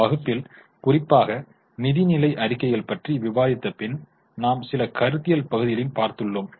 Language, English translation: Tamil, In the class particularly after discussing the financial statements, we have gone into some of the conceptual parts